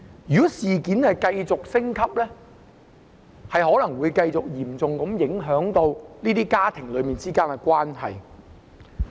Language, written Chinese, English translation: Cantonese, 如果事件繼續升級，可能會嚴重影響這些家庭的關係。, If this incident continues to escalate family relationships may be seriously affected